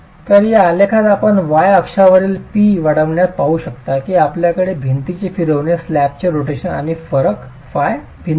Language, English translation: Marathi, So in this graph you can see with increasing p on the y axis, you have the different rotations, the rotation of the wall, the rotation of the slab and the difference theta